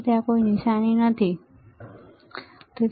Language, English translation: Gujarati, There is no sign, right